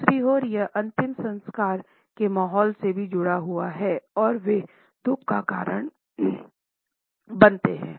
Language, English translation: Hindi, On the other hand, it is also associated with a funeral atmosphere and they evoke sorrow